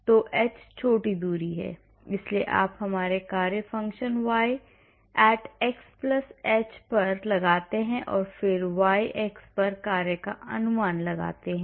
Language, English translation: Hindi, So, h is the small distance, so you estimate our function y at x+h then estimate the function at y x